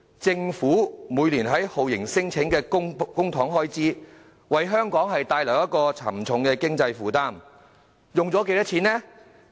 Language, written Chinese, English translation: Cantonese, 政府每年花在酷刑聲請的公帑開支，為香港帶來沉重的經濟負擔，花了多少錢呢？, Every year the Government spends public money on torture claims and this brings heavy economic burden to Hong Kong . How much money has been spent?